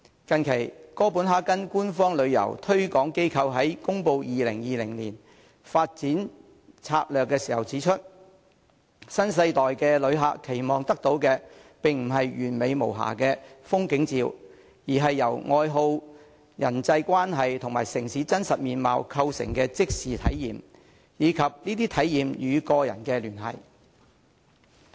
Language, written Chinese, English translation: Cantonese, 近期，哥本哈根官方旅遊推廣機構在公布2020年發展策略時指出，新世代旅客期望得到的並不是完美無瑕的風景照，而是由愛好、人際關係與城市的真實面貌構成的即時體驗，以及這些體驗與個人的連繫。, As recently pointed out by Copenhagens official body for tourism promotion when it unveiled its development strategy for 2020 a new - generation traveller seeks not the perfect still picture to take home but the emotional connection to an instantly shared experience based on interests relations and authenticity